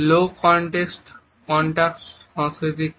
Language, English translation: Bengali, What is the low context culture